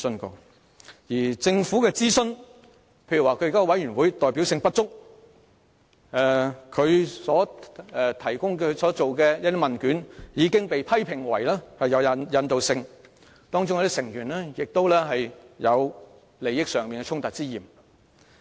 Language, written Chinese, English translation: Cantonese, 至於政府進行的諮詢，其現有委員會代表性不足，所提供的問卷已遭批評為有引導性，當中亦有成員有利益衝突之嫌。, As for the consultation conducted by the Government the existing committees lack representativeness; the questionnaires provided have been criticized for containing leading questions and conflicts of interest are also suspected on the part of members of the committees